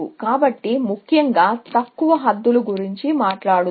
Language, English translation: Telugu, So, let us talk about lower bounds, essentially